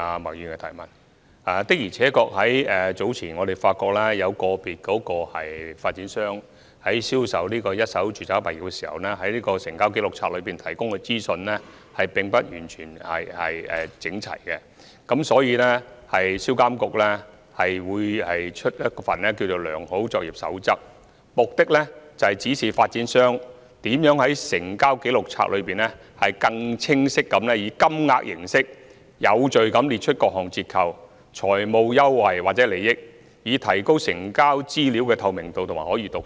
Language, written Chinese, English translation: Cantonese, 我們早前的確發現，有個別發展商在銷售一手住宅物業時，在成交紀錄冊提供的資訊並不完全整齊，所以，銷監局會發出一份《良好作業守則》，目的是指示發展商如何在成交紀錄冊中，更清晰地以金額形式，有序地列出各項折扣、財務優惠或利益，以提高成交資料的透明度和可閱讀性。, Indeed earlier on we found that in the sale of first - hand residential properties individual developers provided incomplete information in the Register of Transactions so SPRA will issue a good practice guide with the aim of instructing developers on how to set out various discounts financial advantages or benefits in monetary terms in a clear and orderly manner so as to enhance the transparency and readability of the transaction information